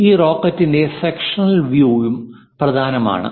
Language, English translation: Malayalam, The sectional view of this rocket is also important